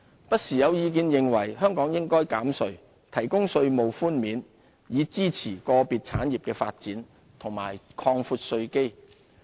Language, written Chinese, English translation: Cantonese, 不時有意見認為，香港應減稅，提供稅務寬免以支持個別產業發展，以及擴闊稅基。, There have been calls for tax cuts providing tax concessions to support the development of certain industries and broadening the tax base